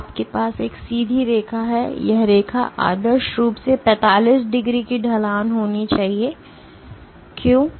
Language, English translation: Hindi, So, you have a straight line and this line should ideally have a slope of 45 degrees; why